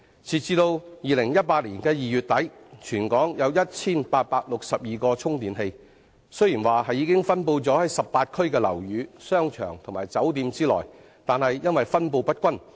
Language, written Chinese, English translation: Cantonese, 截至2018年2月底，全港有 1,862 個充電器，雖然已分布在18區的樓宇、商場和酒店內，但卻分布不均。, As at late February 2018 there were totally 1 862 EV chargers in Hong Kong . Though these charging facilities are already spread across all the 18 districts in various buildings shopping malls and hotels there is still the problem of uneven distribution